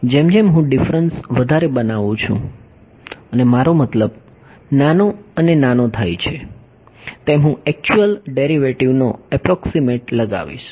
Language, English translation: Gujarati, As I make the dis the differences more and I mean smaller and smaller I am going to approximate the actual derivative right